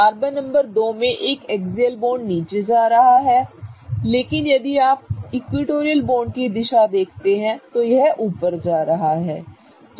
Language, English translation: Hindi, Carbon number 2 has an axial bond going down but if you look at the direction of this equatorial bond it is kind of going up right